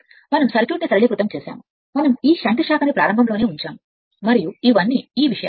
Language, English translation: Telugu, We have made a simplified circuit we have put this shunt branch at the beginning right and these are all these things